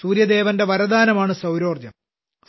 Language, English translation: Malayalam, This blessing of Sun God is 'Solar Energy'